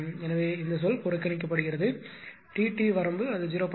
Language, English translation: Tamil, So, this term is neglected T t range it will be in 0